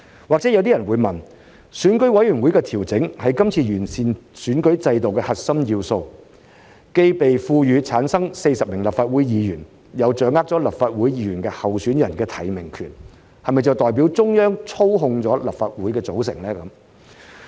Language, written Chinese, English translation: Cantonese, 或許有些人會問，選舉委員會的調整是今次完善選舉制度的核心要素，既被賦權選舉產生40名立法會議員，亦掌握立法會議員候選人的提名權，這是否代表中央操控立法會的組成？, Some people may ask given that the adjustment of the Election Committee EC is the core element of the improvement of the electoral system this time around and EC will return 40 Members to the Legislative Council and nominate candidates for the Legislative Council election whether it means that the composition of the Legislative Council is manipulated by the Central Authorities